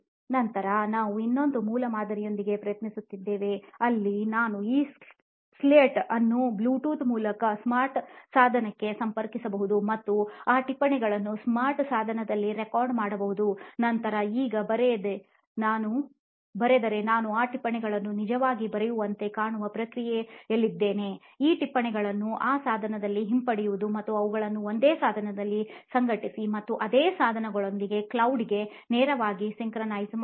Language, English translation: Kannada, Then we tried with another prototype where we can actually connect this slate to a smart device through Bluetooth and actually record that notes in a smart device, then write now we are in a process where we can actually write these notes, retrieve these notes in the same device and organize them in the same device and directly sync to the cloud within the same device